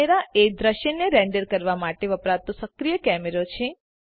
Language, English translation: Gujarati, Camera is the active camera used for rendering the scene